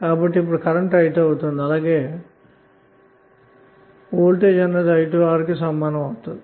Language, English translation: Telugu, So it will become say this current is now i2, so V2 would be i2 into R